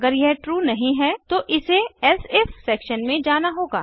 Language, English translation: Hindi, If this is not true , it will go into the elsif section